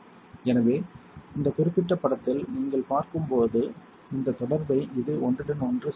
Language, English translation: Tamil, So, this is what is overlapping this contact that you see on this particular image right this one is this particular part